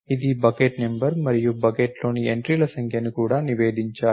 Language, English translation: Telugu, It should also report the bucket number and the number of entries in the bucket